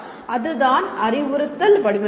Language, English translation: Tamil, That is what instructional design is